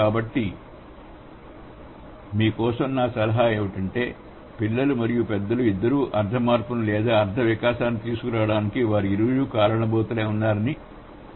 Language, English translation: Telugu, So, my suggestion for you would be we should understand both the children and the adult, they have their own share of contribution to bring the semantic change or the semantic development